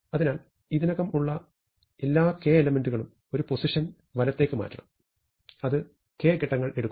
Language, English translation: Malayalam, So, all the k elements which are already there must be shifted right by 1, and that takes k steps